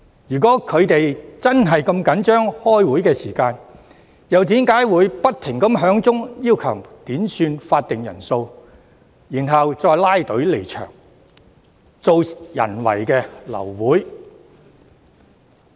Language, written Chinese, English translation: Cantonese, 如果他們真的如此着緊開會時間，又為何不斷要求點算法定人數，然後拉隊離場，製造人為流會？, If they really care so much about the meeting time why did they keep requesting headcounts and then left the Chamber altogether causing the abortion of the meeting?